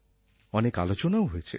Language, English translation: Bengali, Many discussions have been held on it